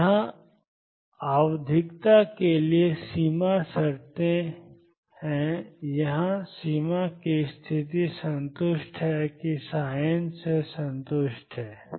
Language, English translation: Hindi, So here, there are the boundary conditions for the periodicity here the boundary condition satisfied is that satisfied by psi n